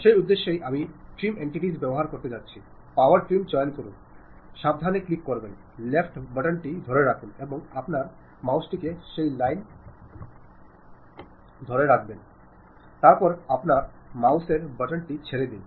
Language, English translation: Bengali, For that purpose, what I am going to do use trim entities, pick power trim, carefully click hold your left button click hold, and move your mouse along that line, then release your mouse button